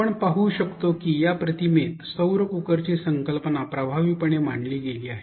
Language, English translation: Marathi, We can see that the concept of solar cooker has been effectively captured in this image